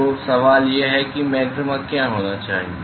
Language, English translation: Hindi, So, the question is why should there be a maxima right